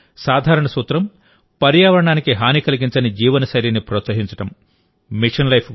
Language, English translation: Telugu, The simple principle of Mission Life is Promote such a lifestyle, which does not harm the environment